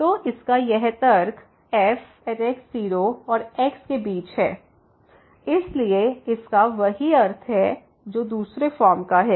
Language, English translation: Hindi, So, this argument of this lies between and , so it has the same similar meaning what the other form has